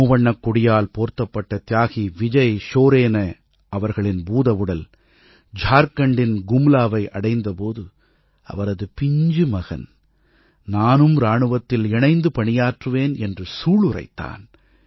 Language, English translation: Tamil, When the mortal remains of Martyr Vijay Soren, draped in the tricolor reached Gumla, Jharkhand, his innocent son iterated that he too would join the armed forces